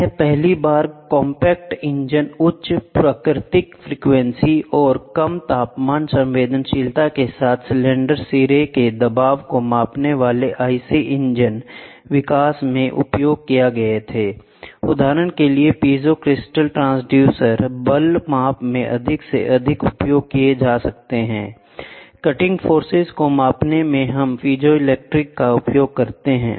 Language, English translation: Hindi, They were first used in IC engine development measuring the cylinder head pressure with the advantage of compactness high natural frequency and the low temperature sensitivity this piezo crystal producers are becoming more and more used in force measurement for example, in cutting force measurement we use piezo crystal dynamometers today